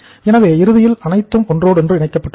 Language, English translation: Tamil, So ultimately everything is interlinked